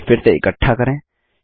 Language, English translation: Hindi, Lets group them again